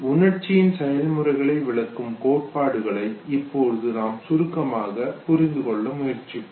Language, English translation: Tamil, We will now very succinctly try to understand the theories which have tried to explain the process of emotion